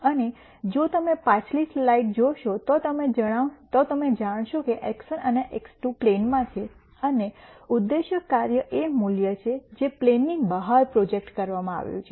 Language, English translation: Gujarati, And if you looked at the previous slide you would notice that x 1 and x 2 are in a plane and the objective function is a value that is projected outside the plane